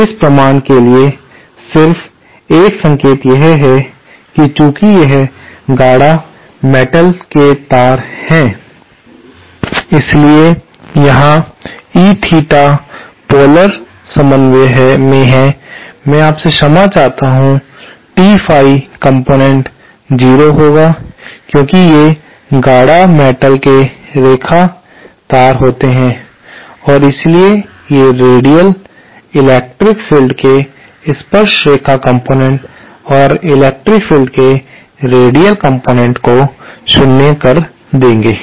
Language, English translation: Hindi, Just a hint to this proof is since that since these are concentric metal wires, so here the E theta is in polar coordinate, I beg your pardon T Phi component will be 0 because these are concentric metal line wires and so they will nullify the radial, the tangential component of the electric field and these will nullify the radial component of the electric field